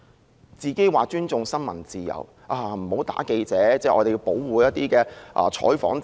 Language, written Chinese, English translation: Cantonese, 她說自己尊重新聞自由，記者不能打，應該保護採訪自由。, She said she respects the freedom of the press and that reporters should not be assaulted and the freedom of news coverage should be protected